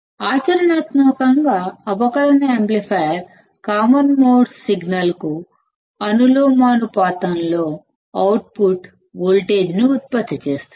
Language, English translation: Telugu, Practically, the differential amplifier produces the output voltage proportional to common mode signal